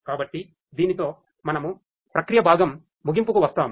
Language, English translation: Telugu, So, with this we come to an end of the processing part and